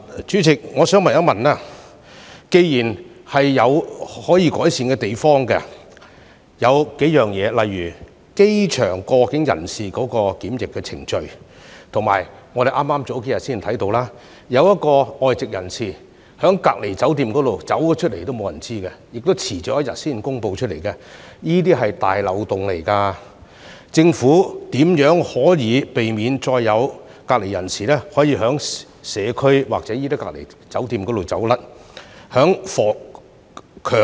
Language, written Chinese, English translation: Cantonese, 主席，我想問，既然有多處可以改善的地方，例如機場過境人士的檢疫程序，以及我們數天前看到一名外籍人士離開了隔離酒店也沒有人知悉，當局更遲了一天才公布，這可是個大漏洞，政府如何避免再有隔離人士逃離隔離酒店，進入社區？, President I would like to ask this question since there are a number of areas for improvement such as the quarantine procedures for people transiting at the airport and the big loophole where as we saw a few days ago a foreigner left the quarantine hotel without anyones knowledge and the authorities were even one day late in announcing the news how can the Government prevent the recurrence of people under quarantine escaping hotel quarantine to enter the community?